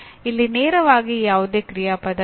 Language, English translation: Kannada, Straightaway there is no action verb